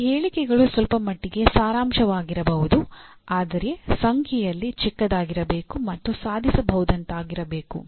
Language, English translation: Kannada, These statements can be abstract to some extent but must be smaller in number and must be achievable